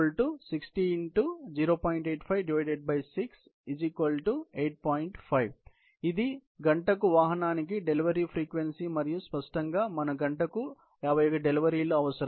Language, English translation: Telugu, So, this is the delivery frequency per vehicle per hour and obviously, we need 51 deliveries per hour